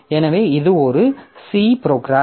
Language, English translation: Tamil, So, this is a C program